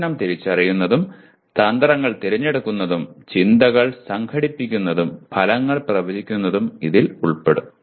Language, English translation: Malayalam, That will involve identifying the problem and choosing strategies and organizing thoughts and predicting outcomes